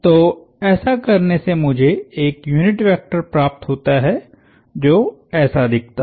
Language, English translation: Hindi, So, that happens to give me a unit vector that looks like that